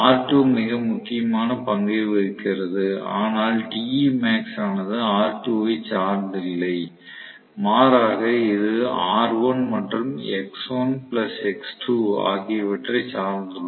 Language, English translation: Tamil, So, R2 was playing a very very vital role, but Te max does not depend upon R2 it rather depends upon R1 and x1 plus x2 and so on and so forth right